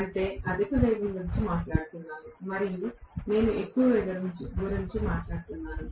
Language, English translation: Telugu, That means I am talking about higher speed and if I am talking about higher speed